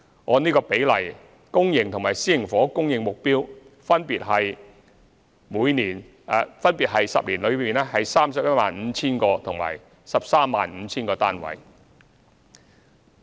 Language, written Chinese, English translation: Cantonese, 按此比例，上述10年期的公營和私營房屋供應目標分別為 315,000 個及 135,000 個單位。, Accordingly the public and private housing supply targets for the aforesaid ten - year period are 315 000 units and 135 000 units respectively